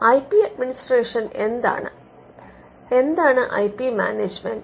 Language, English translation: Malayalam, IP administration: what we call IP management